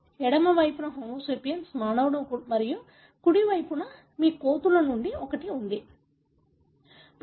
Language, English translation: Telugu, On the left is the Homo sapiens, the human and the right you have one from apes, right